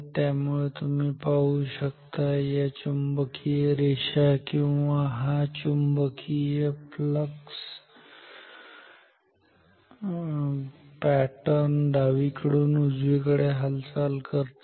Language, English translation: Marathi, So, if you see that as if these flux lines or this flux pattern is moving from left to right ok